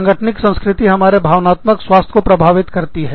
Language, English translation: Hindi, Organizational culture, affects our emotional health